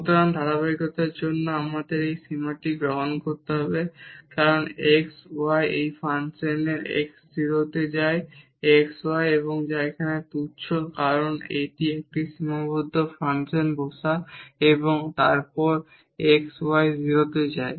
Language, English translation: Bengali, So, for the continuity we have to take this limit as x y goes to 0 0 of this function x y; and which is trivial here because this is a bounded function sitting and then x y go to 0